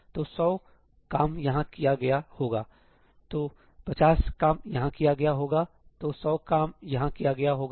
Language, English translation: Hindi, So, 100 work would have been done here; 50 would have been done here, 100 would have been done here